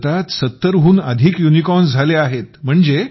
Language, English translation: Marathi, Today there are more than 70 Unicorns in India